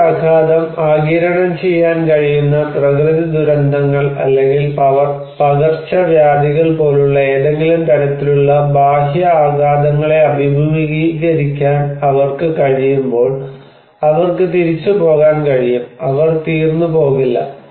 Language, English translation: Malayalam, When it is resilient to face any kind of external shocks like natural disasters or epidemics that they can absorb this shock, they can bounce back, they will not finish